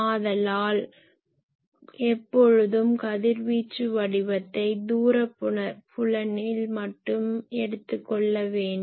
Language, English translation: Tamil, So, always radiation pattern should be taken only at the far field